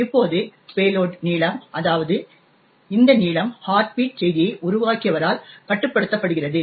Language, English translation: Tamil, Now, the payload length, that is, this length is controlled by the creator of the heartbeat message